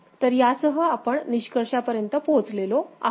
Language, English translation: Marathi, So, with this we come to the conclusion